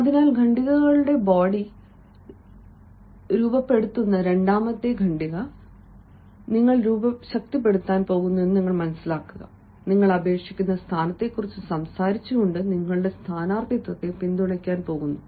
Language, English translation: Malayalam, so the second paragraph, which will formulate the body of the paragraph you are going to strengthen, you are going to support your candidature ah, by talking about the position you are applying